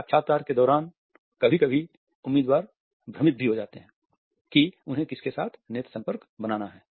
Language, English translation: Hindi, During the interviews sometimes candidates become confused as to with home they have to maintain the eye contact